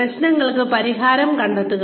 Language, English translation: Malayalam, Find solutions to problems